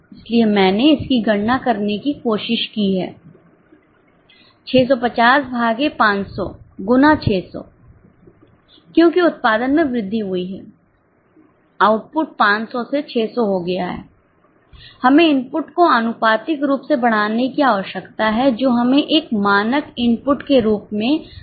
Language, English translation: Hindi, So, I have tried to calculate it here 650 divided by 500 into 600 because the output has increased, we need to the output has gone up from 500 to 600, we need to increase the input has gone up from 500 to 600, we need to increase the input proportionately which gives us 780 as a standard input